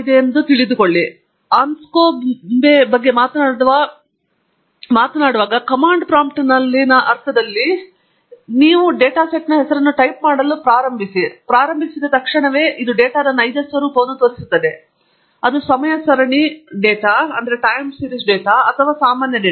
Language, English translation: Kannada, The moment you talk about Anscombe or in the sense in the command prompt, the moment you start typing the name of the data set, it shows you the true nature of the data whether it is a time series data or regular data and so on